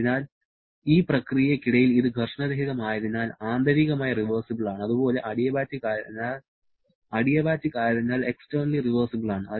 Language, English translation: Malayalam, So, during this process, it is frictionless so internally reversible and also adiabatic so externally reversible